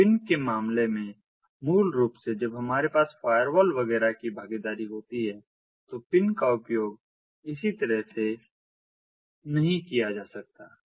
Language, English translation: Hindi, so in the case of pin, basically you know when we have ah, you know the involvement of firewalls, etcetera, etcetera, so pin ah cannot ah be used as such right